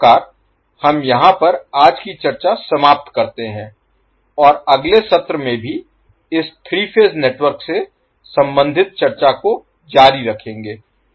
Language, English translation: Hindi, So, this weekend close our today's discussion at this point will continue our discussion related to this 3 phase network in our next session also